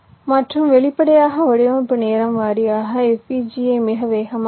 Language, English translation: Tamil, and obviously design time wise, fpgas is the fastest